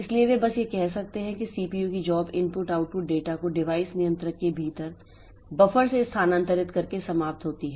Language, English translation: Hindi, So, they just the CPU's job ends by transferring the input output data to and from the buffer within the device controller